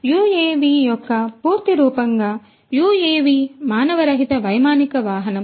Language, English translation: Telugu, UAV as you know the full form of UAV is Unmanned Aerial Vehicle